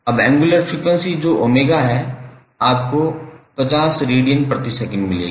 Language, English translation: Hindi, Now angular frequency that is omega you will get equal to 50 radiance per second